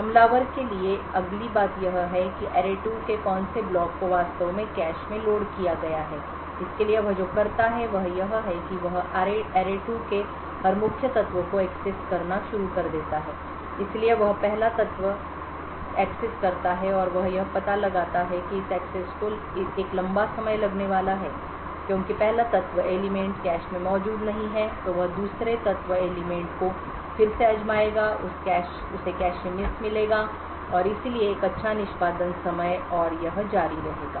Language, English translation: Hindi, The next thing to do for the attacker is to identify which block in array2 has actually been loaded into the cache what he does for this is that he starts to access every main element in array2 so he excesses the first element and he figures out that this axis is going to take a long time because the first element is not present in the cache then he would try the second element again he would get a cache miss and therefore along a longer good execution time and this continues